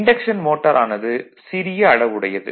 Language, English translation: Tamil, But anyways this is induction motor is a smaller size